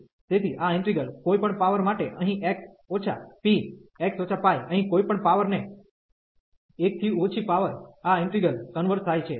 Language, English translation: Gujarati, So, this integral converges for any power here x minus p, x minus pi power any power here less than 1 this integral converges